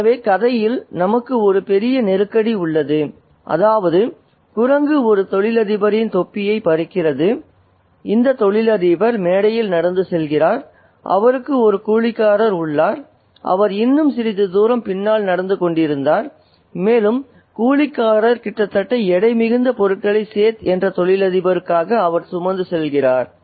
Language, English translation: Tamil, Okay, so we have the big crisis in the story which is that the monkey snatches the cap of a businessman and this businessman walks down the platform and he has a coolly who is walking behind a little farther off and that coolly is almost way down with the amount of luggage that he carries for the businessman the set and this particular businessman is wearing very expensive clothes